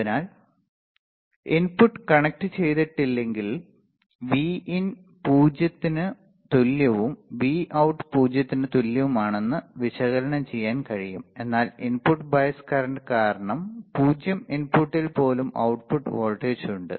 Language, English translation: Malayalam, So, it can be analyzed that if input is not connected Vin equals to 0 and ideally Vout equals to 0, but because of input bias current there is an output voltage even at 0 input